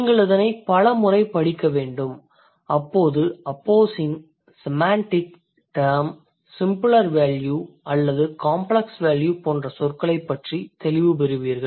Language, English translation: Tamil, My suggestion for you would be to read it multiple times and when you read it you will get clarity about the terms like opposing semantic terms, simpler value or complex value and stuff like that, right